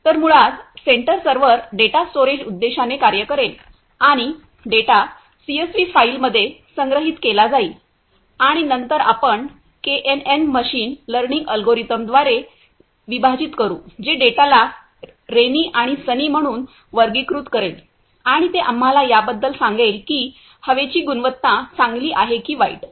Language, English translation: Marathi, So, basically the centre server will act as a data storage purpose and the data will be stored in a CSV file and later on we will be divide KNN machine learning algorithm which will classify the data into as rainy and sunny and it will also tell us about the air quality whether it is good or bad